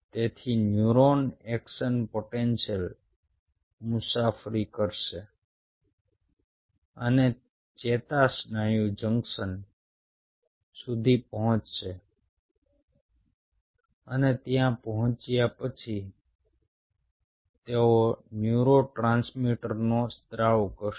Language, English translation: Gujarati, so the idea is you stimulate the neurons, so neuron, the action potentials, will travel and will reach the neuromuscular junctions and upon reaching there, they will secrete neurotransmitters